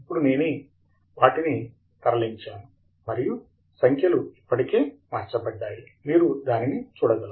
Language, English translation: Telugu, I have just now moved them around and you can see that the numbers have already changed